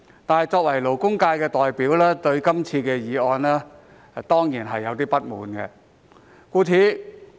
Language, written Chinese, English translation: Cantonese, 但是，作為勞工界的代表，我對這項議案當然感到不滿。, However as a representative of the labour sector I am certainly dissatisfied with this motion